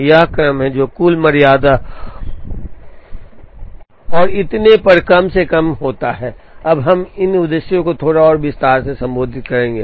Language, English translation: Hindi, What is the sequence that minimizes total tardiness and so on, we will now address these objectives in a little more detail